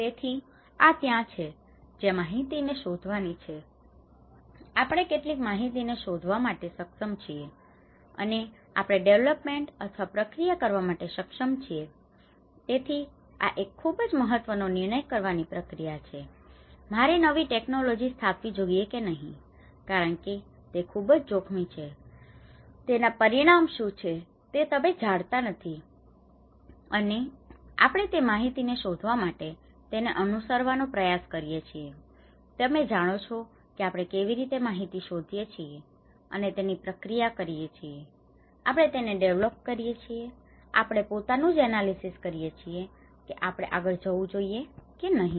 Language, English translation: Gujarati, So, this is where the information seeking, we are able to seek some information and we are able to process it development or activity so, this is a very important decision making process whether I install new technology or not because it is a very risky, you do not know what is the consequences and we try to relay on this information seeking, you know that how we seek for information and we process it, we develop it, we make our own analysis of whether we should go further or not